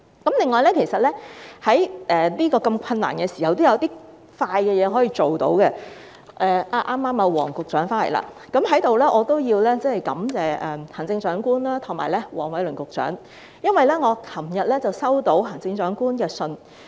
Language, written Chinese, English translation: Cantonese, 此外，在如此困難的時候，也有一些事情可以較快辦到——黃局長剛好在席——我在此也要感謝行政長官及黃偉綸局長，因為我昨天收到行政長官的信件。, Besides during such a difficult time there is still something which can be done more quickly―Secretary Michael WONG happens to be present―here I wish to thank the Chief Executive and Secretary Michael WONG because I received a letter from the Chief Executive yesterday